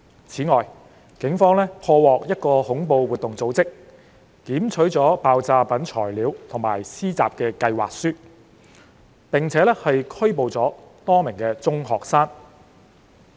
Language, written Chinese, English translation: Cantonese, 此外，警方破獲一個恐怖活動組織，檢取了爆炸品原材料及施襲計劃書，並拘捕了多名中學生。, Moreover the Police cracked a terrorist ring seizing raw materials for explosives and plots for attacks as well as arresting a number of secondary school students